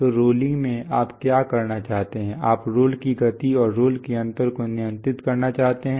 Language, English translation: Hindi, So in rolling what you want to do is, you want to control the speed of the rolls and the gap of the rolls